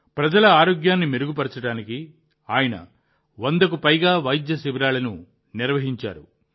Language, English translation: Telugu, To improve the health of the people, he has organized more than 100 medical camps